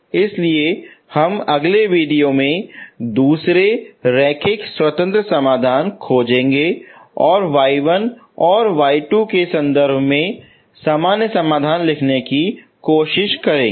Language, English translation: Hindi, So we will try to find the second linearly independent solution in the next video and write the general solution in terms of y1 and y2, okay